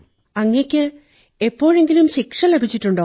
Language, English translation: Malayalam, Did you ever get punishment